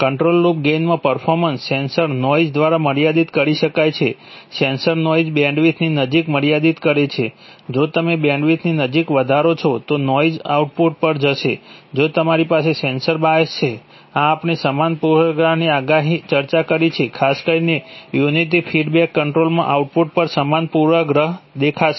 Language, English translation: Gujarati, Performance in a, in a control loop gets, can be limited either by sensor noise, sensor noise limits the close to bandwidth if you increase the close to bandwidth, the noise will go to the output, if you have sensor bias, this we have discussed, exactly same bias, especially in unity feedback control, exactly same bias will appear at the output